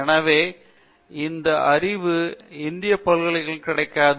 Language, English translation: Tamil, Therefore, this means this knowledge is not available in Indian universities